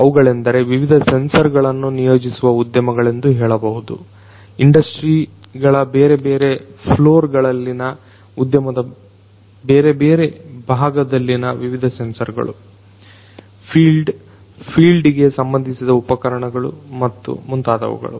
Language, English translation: Kannada, These are let us say the industries that would deploy different sensors; different sensors in these different parts of these industries in the different industrial floor, the fields the field equipment and so on